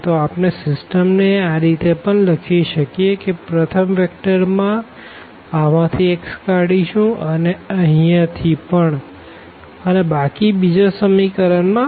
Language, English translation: Gujarati, So, we can also write down the system as like the first vector I will take x from this and also x from here and in the second equation the rest the y term